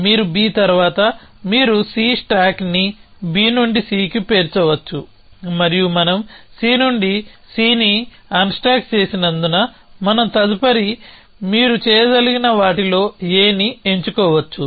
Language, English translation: Telugu, You can say after B you can stack C on stack B on to C and because we have unstack C from we can pick up A in the next you can and so on